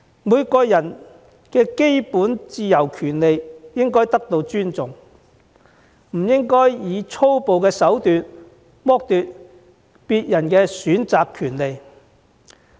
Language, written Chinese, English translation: Cantonese, 每個人的基本自由權利應該得到尊重，我們不應以粗暴的手段剝奪別人的選擇權利。, The basic rights and freedoms of every person should be respected and we should not resort to violence means to deprive others of their right to choose